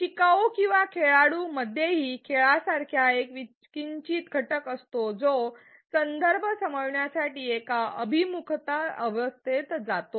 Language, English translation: Marathi, The learner or the player this also has a slight game like element goes through an orientation phase to understand the context